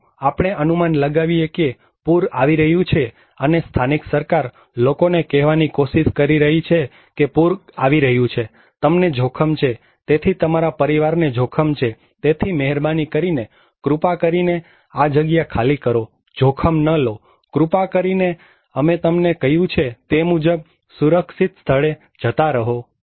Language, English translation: Gujarati, Let us imagine that a flood is coming and local government is trying to say to the people that flood is coming so, you are at risk so, your family is at risk so, please, please, please evacuate, do not take the risk, but please evacuate to a safer place that we told you